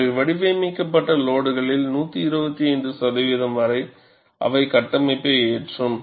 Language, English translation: Tamil, They load the structure up to 125 percent of the load, for which it is designed